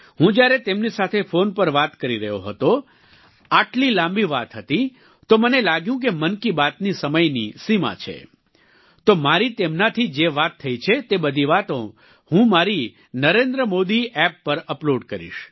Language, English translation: Gujarati, When I was talking to them on the phone, it was such a lengthy conversation and then I felt that there is a time limit for 'Mann Ki Baat', so I've decided to upload all the things that we spoke about on my NarendraModiAppyou can definitely listen the entire stories on the app